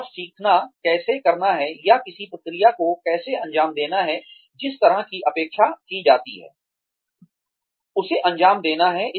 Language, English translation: Hindi, And learning, how to do, or how to carry out a process, the way it is expected, to be carried out